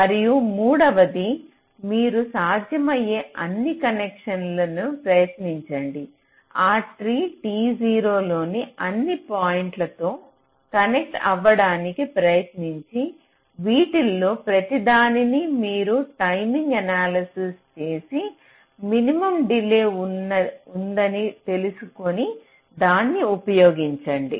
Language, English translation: Telugu, and the third one says: you try all possible connections, try to connect to all possible points in that tree, t zero, and for each of these you do timing analysis to find out that for which the delay is minimum